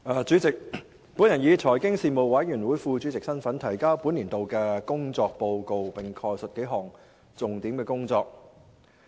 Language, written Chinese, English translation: Cantonese, 主席，我以財經事務委員會副主席的身份，提交本年度的工作報告，並概述數項重點工作。, President in my capacity as the Deputy Chairman of the Panel on Financial Affairs the Panel I submit the report on the work of the Panel for the current session and briefly highlight several major items of work of the Panel